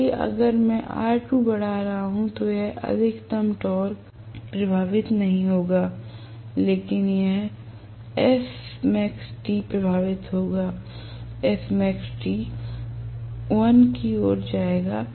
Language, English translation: Hindi, So, if I am going to have R2 increased than what is going to happen is this maximum torque will not get affected, but this S max T will get affected, S max T will shift towards 1